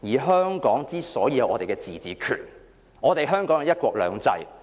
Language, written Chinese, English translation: Cantonese, 香港之所以有自治權，是因為香港實施"一國兩制"。, Hong Kong has autonomy because of the implementation of one country two systems